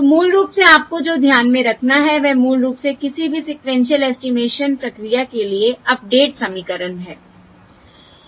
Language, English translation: Hindi, So basically, what you have to keep in mind is basically the update equations for any sequential estimation procedure